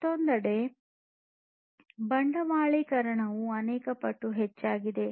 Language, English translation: Kannada, And on the other hand capitalization has increased manifold